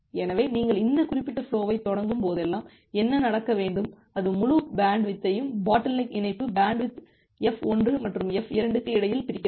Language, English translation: Tamil, So, ideally what should happen that well whenever you are starting this particular flow, it will it will the entire bandwidth the bottleneck link bandwidth will be divided between F1 and F2